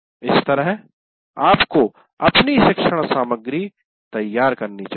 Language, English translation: Hindi, So that is how you have to prepare your instructional material